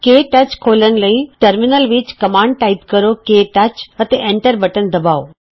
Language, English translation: Punjabi, To open KTouch, in the Terminal, type the command: ktouch and press Enter